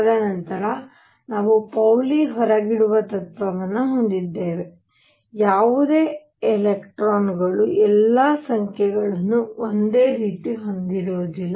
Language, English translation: Kannada, And then we have the Pauli Exclusion Principle, that no 2 electrons can have all numbers the same